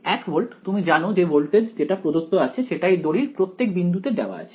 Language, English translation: Bengali, 1 volt you know the voltage that is given in that every point on the wire